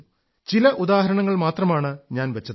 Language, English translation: Malayalam, I have mentioned just a few examples